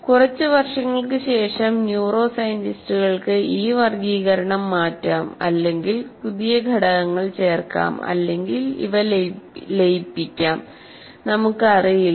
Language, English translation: Malayalam, Maybe after a few years, again, neuroscientists may change this classification or add more classes or merge them, we don't know